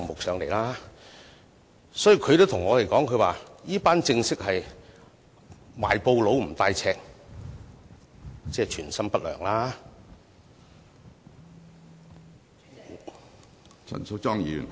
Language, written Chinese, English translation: Cantonese, 市民也對我們說，這群人是"賣布不帶尺——存心不良量"。, Some members of the public have also told us that such a bunch of people are like cloth sellers without measuring tapes―no intent to take measurements